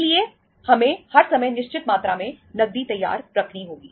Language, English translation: Hindi, So we have to keep the certain amount of cash ready all the times